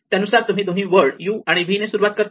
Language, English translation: Marathi, So, supposing I have two words u and v